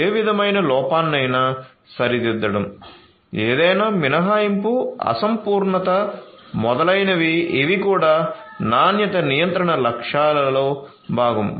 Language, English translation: Telugu, Rectifying any kind of error any omission incompleteness etcetera these are also part of the objectives of quality control